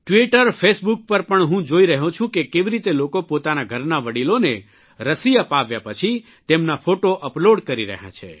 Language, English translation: Gujarati, I am observing on Twitter Facebook how after getting the vaccine for the elderly of their homes people are uploading their pictures